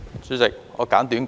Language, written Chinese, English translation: Cantonese, 主席，我簡短發言。, President I will speak briefly